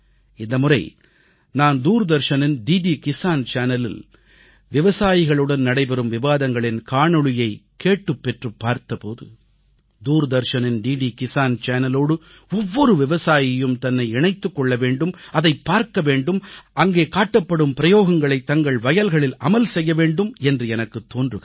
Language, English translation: Tamil, This time, I requisitioned and viewed videos of discussions with our farmers on DD Kisan Channel of Doordarshan and I feel that each farmer should get connected to this DD Kisan Channel of Doordarshan, view it and adopt those practices in his/ her own farm